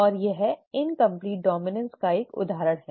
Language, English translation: Hindi, And this is an example of incomplete dominance